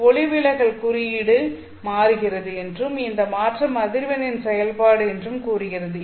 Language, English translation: Tamil, So this is simply saying that refractive index is changing and this change is a function of frequency